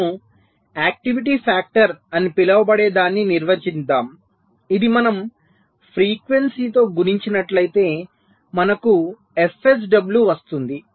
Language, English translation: Telugu, so we define something called an activity factor which if we multiplied by the frequency we get f sw